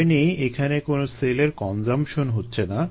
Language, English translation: Bengali, there is no consumption of cells